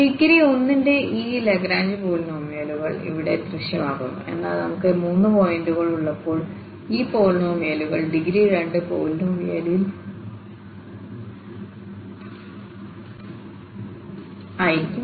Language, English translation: Malayalam, So, this Lagrange polynomial of degree 1 are appearing here Li x, but when we have for instance three points, those polynomials will be of degree 2 polynomial again the same structure of the formula will continue